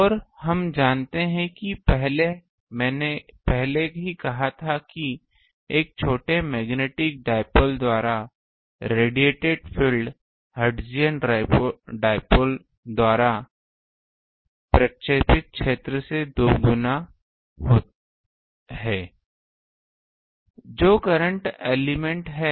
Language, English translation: Hindi, And we know um I already said that the field radiated by a small magnetic dipole is dual to the field radiated by a hertzian dipole are current element